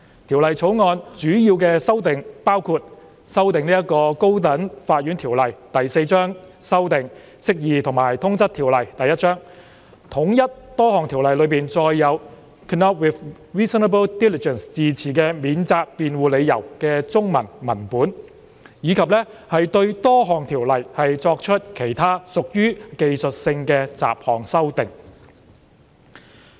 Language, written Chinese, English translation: Cantonese, 《條例草案》主要修訂包括：修訂《高等法院條例》、修訂《釋義及通則條例》、統一多項條例中載有 "could not with reasonable diligence" 字詞的免責辯護理由的中文文本，以及對多項條例作出其他屬技術性的雜項修訂。, The major amendments in the Bill include amendments to the High Court Ordinance Cap . 4 amendments to the Interpretation and General Clauses Ordinance Cap . 1 standardization of the Chinese text of the defence containing the phrase could not with reasonable diligence in various Ordinances and other miscellaneous amendments to various Ordinances which are of technical nature